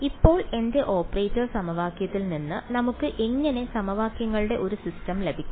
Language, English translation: Malayalam, Now, how do we get a system of equations from my operator equation